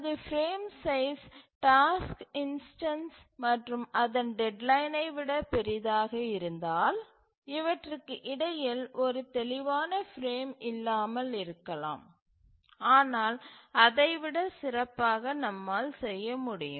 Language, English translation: Tamil, Obviously if our frame size is larger than the task instance and its deadline, we may not have a clear frame which exists between this